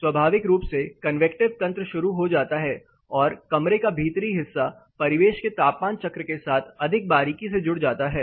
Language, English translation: Hindi, Naturally the convective mechanism sets in and the indoor is more closely connected or closely correspondence with the ambient temperature cycle